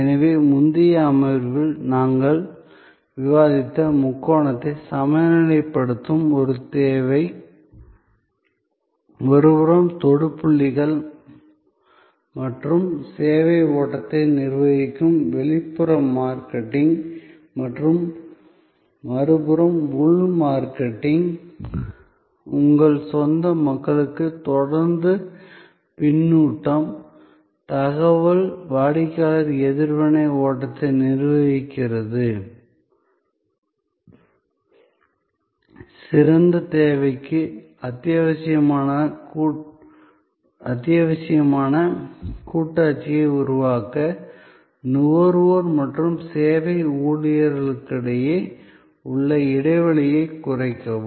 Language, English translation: Tamil, So, this need of balancing the triangle which we had discussed in a previous session, on one side external marketing managing the touch points and the service flow and on the other side internal marketing managing the flow of feedback, information, customer reaction continuously to your own people, bridge the gap between the consumer and the service employees to create the partnership which is essential for excellent service